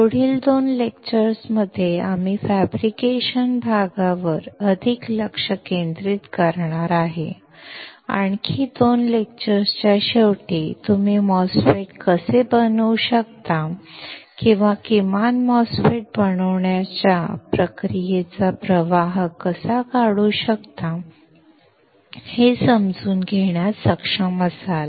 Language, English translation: Marathi, In the next 2 lectures, we will be focusing more on the fabrication part and sometime around the end of another 2 lectures, will you be able to understand how you can fabricate a MOSFET or at least draw the process flow for fabricating a MOSFET